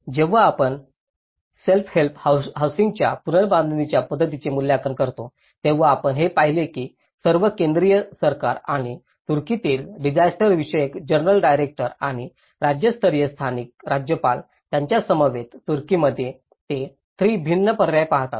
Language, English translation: Marathi, When we assess the self help housing reconstruction method, we see that in Turkey first of all the central government which these ministries and the general director of disaster affairs and with the local governor of the state level, they look at the 3 different options